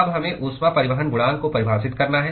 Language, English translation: Hindi, We have to now define a heat transport coefficient